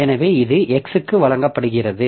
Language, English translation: Tamil, So, this is given for x